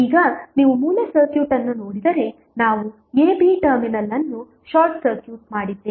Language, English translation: Kannada, Now, if you see the original circuit we have just simply short circuited the terminal a, b